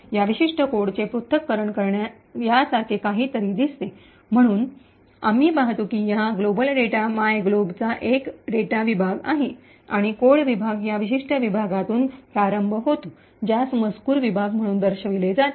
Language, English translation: Marathi, The disassembly of this particular code looks something like this, so we see that there is a data segment comprising of this global data myglob and the codes segments starts from this particular section, which is denoted as the text section